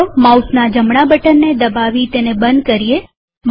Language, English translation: Gujarati, Let us close it by clicking the right button of the mouse